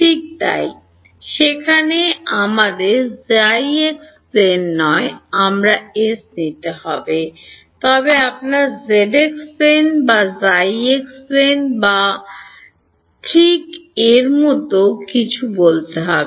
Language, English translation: Bengali, Right so, there we will have to take our s not in the xy plane, but will have to take it in let say the your zx plane or zy plane or something like that right